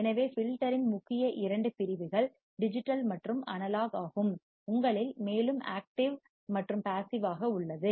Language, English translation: Tamil, So, main two categories of filter is digital and analog; further in you have active as well as passive